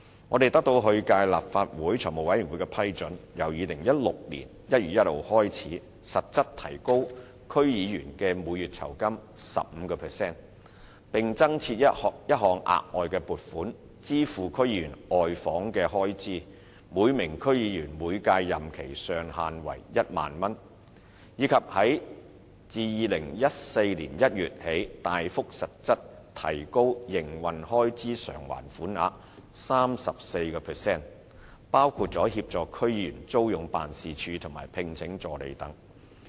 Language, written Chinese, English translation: Cantonese, 我們得到上屆立法會財務委員會的批准，由2016年1月1日開始，實質提高區議員的每月酬金 15%， 並增設一項額外撥款，支付區議員的外訪開支，每名區議員每屆任期的上限為1萬元；以及自2014年1月起，大幅實質提高營運開支償還款額 34%， 包括協助區議員租用辦事處及聘請助理等。, We have secured approval from the Finance Committee of the last Legislative Council to increase from 1 January 2016 onwards the monthly honorarium for DC members by 15 % in real terms and to introduce a new provision capped at a ceiling of 10,000 per DC member per term to finance DC members duty visits; and to substantially increase from January 2014 onwards the rate of the Operating Expenses Reimbursement by 34 % in real terms including assisting DC members in renting premises for ward offices and employing assistants